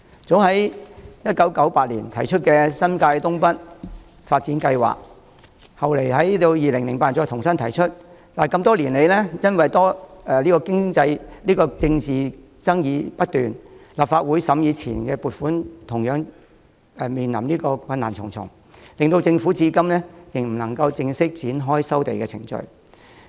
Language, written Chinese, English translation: Cantonese, 政府早於1998年提出新界東北發展計劃，後來在2008年再重新提出，但因多年來政治爭議不斷，立法會審議前期撥款時同樣困難重重，令政府至今未能正式展開收地程序。, The Government put forward the North East New Territories development proposal in as early as 1998 and raised the proposal again in 2008 . However due to ongoing political disputes over the years and the numerous difficulties involved in approving the kick - off grants by the Legislative Council the Government has yet to commence land resumption procedures today